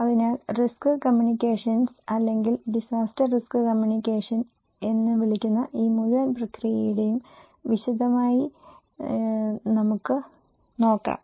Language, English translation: Malayalam, So, let us look into the detail of this entire process, which we call risk communications or disaster risk communications